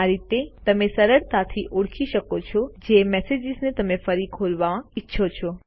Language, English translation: Gujarati, This way you can easily identify messages you want to open again